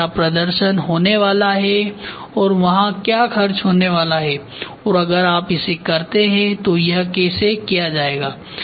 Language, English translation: Hindi, What is the performance going to be there and what is the cost going to be there and if you do it how is it going to be done